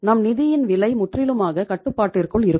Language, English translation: Tamil, Your financial cost will be totally under control